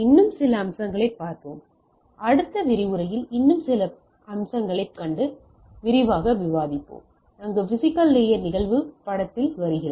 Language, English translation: Tamil, So, today also we will look at some of the features and maybe in next lecture we will see some of or few more features, where the physical layer phenomenon come into picture